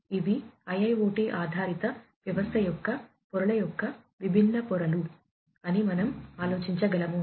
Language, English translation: Telugu, So, these are the different layers of layers of an IIoT based system, that we can think of